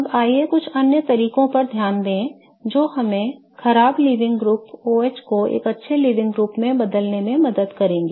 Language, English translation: Hindi, Okay, now let's look at some other ways which will help us convert the bad living group OH into a good leaving group